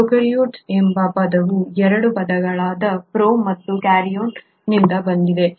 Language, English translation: Kannada, The term prokaryotes is derived from 2 words, pro and Karyon